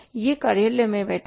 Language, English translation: Hindi, He is sitting in the office